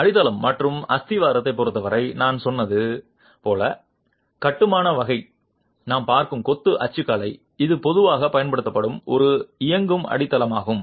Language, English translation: Tamil, In terms of the foundation and plinth, so as I said the kind of construction, the kind of masonry typology that we are looking at, it is a running foundation that is typically used